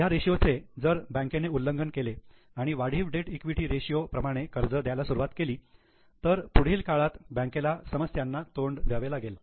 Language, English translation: Marathi, If the debt equity ratio is violated by bank, banks start giving more debt equity ratio, it gives a problem to the bank in the long run